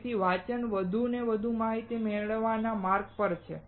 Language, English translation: Gujarati, So, reading is on the way to gain more and more knowledge